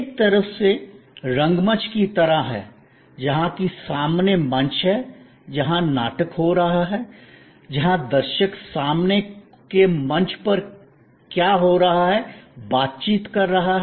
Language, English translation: Hindi, In a way, the metaphor is taking from theater, where there is a front stage, where the play is taking place, where the viewer is interacting with what is happening on the front stage